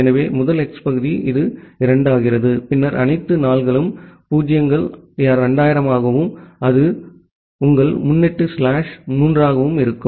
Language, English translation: Tamil, So, the first hex part this becomes 2 and then all 4’s are 0’s 2000 and your prefix is slash 3